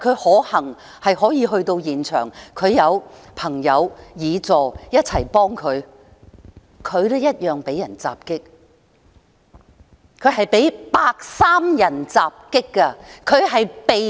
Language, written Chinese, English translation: Cantonese, 可幸的是他可以到達現場，他有朋友和議員助理的幫忙，但他一樣被人襲擊——他是被白衣人襲擊的。, It was fortunate that he could arrive at the scene . He was offered help by his friends and his Legislative Assistants but was attacked just the same―he was assaulted by white - clad people